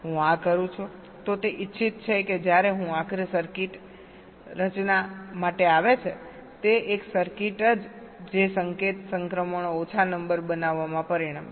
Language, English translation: Gujarati, if i do this, it is expected that when i finally come to the designing of the circuit, it will result in a circuit which will be creating less number of signal transitions